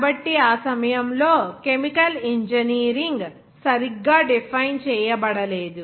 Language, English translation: Telugu, So, chemical engineering was not defined properly at that time